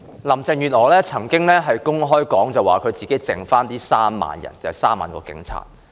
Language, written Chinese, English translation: Cantonese, 林鄭月娥曾經公開表示，她只剩下3萬名警察。, Carrie LAM has once said that the 30 000 police officers are all she has right now